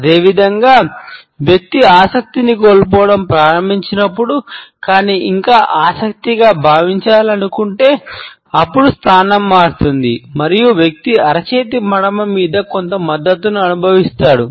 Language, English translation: Telugu, Similarly, when the person begins to lose interest, but still wants to come across as feeling interested, then the position would alter and the person would start feeling some support on the heel of the palm